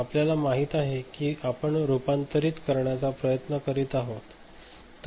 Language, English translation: Marathi, that you know we are trying to convert